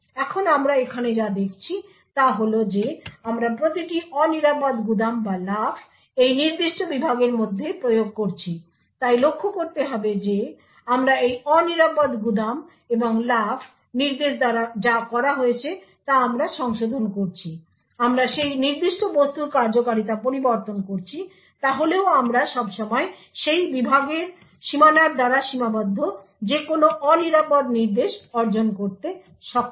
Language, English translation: Bengali, Now what we see over here is that we are enforcing that every unsafe store or jump is within this particular segment, so note that we are modifying what is done by this unsafe store and jump instruction we are modifying the functionality of that particular object, so however we are able to achieve that any unsafe instruction is always restricted by that segment boundary